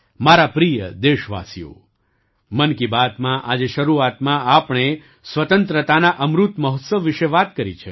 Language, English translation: Gujarati, My dear countrymen, in the beginning of 'Mann Ki Baat', today, we referred to the Azadi ka Amrit Mahotsav